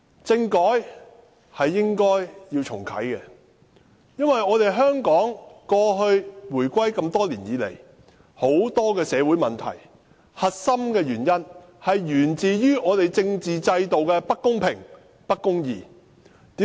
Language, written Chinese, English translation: Cantonese, 政改是應該重啟的，因為香港回歸多年以來，很多社會問題的核心均源於我們政治制度的不公平、不公義。, Constitutional reform should be reactivated because the crux of many social problems since our reunification with the Mainland originate from our unfair and unjust constitutional system